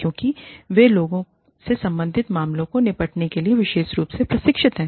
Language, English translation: Hindi, Because, they are specially trained in dealing with, people related matters